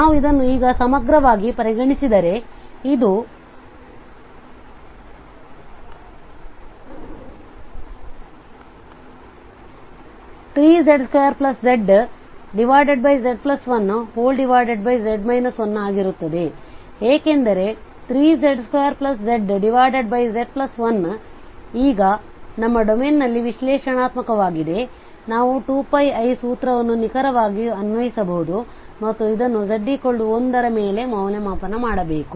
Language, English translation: Kannada, If we consider this integral now, so this will be our function hence divided by z minus 1 because this is now analytic in our domain, so no problem and then we can apply exactly the formula 2 pi i and this has to be evaluated over z is equal to 1